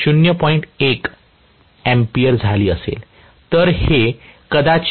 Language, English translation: Marathi, This will be probably 0